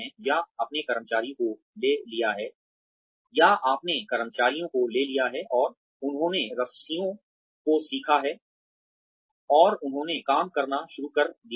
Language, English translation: Hindi, Or, you have taken in employees, and they have sort of learnt the ropes, and they have started working